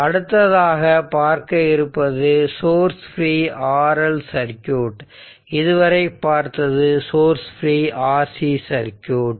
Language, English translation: Tamil, So, next is that source free RL circuit, we saw till now we saw source free Rc circuit now will see is a source free RL circuit